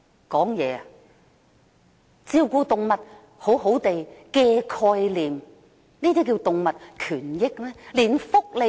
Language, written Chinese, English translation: Cantonese, "謹慎照顧動物"的概念，這叫作動物權益嗎？, A concept of positive duty of care on animal keepers? . How can this be called animal rights?